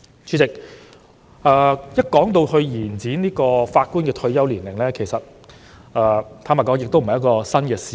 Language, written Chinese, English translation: Cantonese, 主席，有關延展法官退休年齡的討論，坦白說並不是新事物。, President frankly speaking the proposal of extending the retirement age of judges is not a new idea